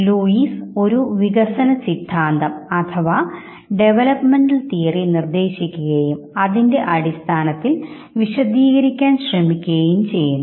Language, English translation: Malayalam, Lewis proposed a developmental theory suggesting